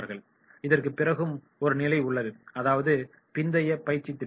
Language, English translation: Tamil, However, one more stage we can take and that is the post training program